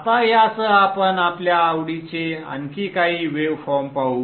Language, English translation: Marathi, Okay now with this let us see a few more waveforms of interest to us